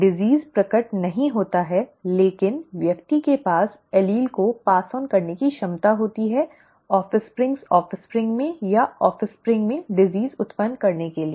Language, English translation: Hindi, The disease is not manifest but the person has a potential to pass on the allele to cause the disease in the offspring, or in the offspringÕs offspring